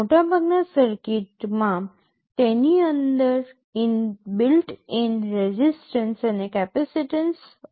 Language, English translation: Gujarati, Most of the circuits have a built in resistance and capacitance effect inside it